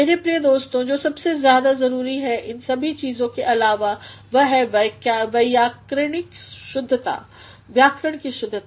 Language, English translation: Hindi, My dear friends, what is the most important apart from all these things is to ensure grammatical correctness ah